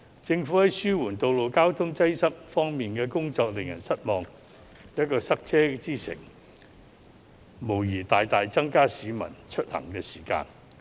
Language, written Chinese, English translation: Cantonese, 政府在紓緩道路交通擠塞方面的工作令人失望，香港成為塞車之城，無疑大大增加市民的出行時間。, The Governments effort in alleviating traffic congestion is disappointing . Hong Kong has become a city of traffic jams and travel time has increased significantly